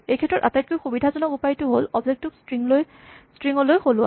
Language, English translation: Assamese, And for this the most convenient way is to convert the object to a string